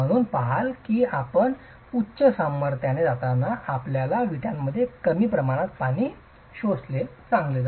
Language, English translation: Marathi, So, you see that as you go to higher strength, it's better to have lesser water absorption in your bricks